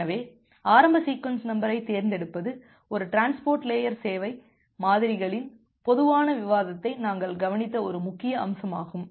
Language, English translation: Tamil, So, choosing the initial sequence number is an important aspect that we have looked into a generic discussion of a transport layer service models